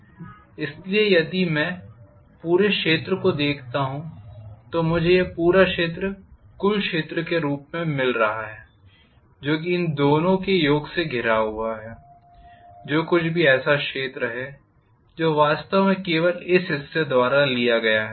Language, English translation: Hindi, So if I look at the entire area, I am getting this entire area as the total area which is enclosed by the summation of these two, minus whatever is the area that is actually taken up only by this portion